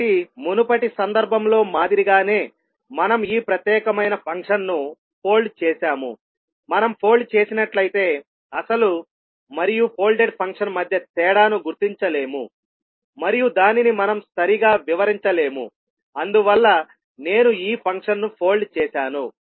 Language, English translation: Telugu, So like in the previous case what we did that we folded this particular function, if we fold we will not be able to differentiate between original and the folded function and we will not be able to explain it so that is why I folded this function